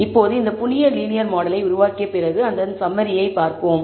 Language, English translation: Tamil, Now, after building this new linear model let us take a look at the summary